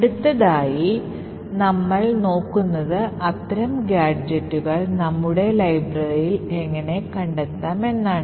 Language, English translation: Malayalam, So, the next thing we will actually look at is, how do we find such gadgets in our library